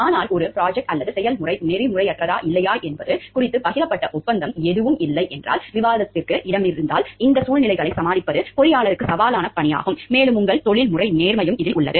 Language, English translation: Tamil, But, if there is no shared agreement and about whether a projector or procedure is unethical or not and there is a room for debate, then it is a challenging task for the engineer to tackle these situations, and it is where your professional integrity